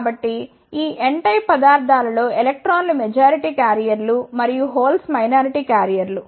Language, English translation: Telugu, So, in this n type of materials electrons are the majority carriers and holes are the minority carriers